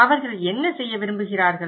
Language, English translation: Tamil, What they want to do